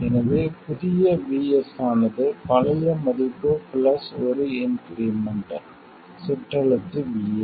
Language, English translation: Tamil, So, that means that new VS represented as old value plus an increment lowercase VS